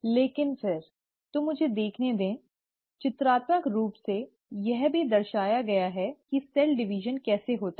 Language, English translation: Hindi, But then, so let me just look, pictorially also depict how the cell division happens